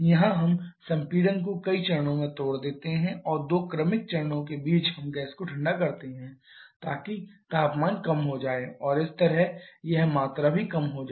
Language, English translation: Hindi, Here we break the compression into several stages and in between 2 successive stages we cool down the gas so that is temperature reduces and thereby this volume also reduces